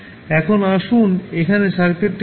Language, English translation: Bengali, Now, let us see the circuit here